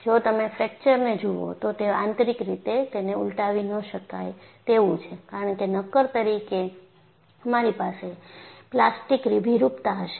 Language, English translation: Gujarati, See, if you look at fracture, it is intrinsically non reversible because in an actual solid, you will have plastic deformation